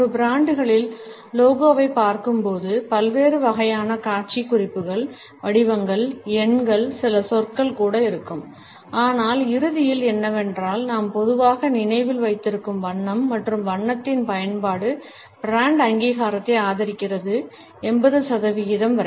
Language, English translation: Tamil, Even though when we look at a brands logo there are different types of visual cues, shapes, numbers, certain words would also be there, but what stands out ultimately is the color which we normally remember and the use of color increases brand recognition by up to 80 percent